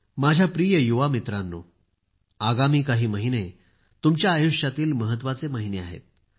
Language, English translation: Marathi, the coming few months are of special importance in the lives of all of you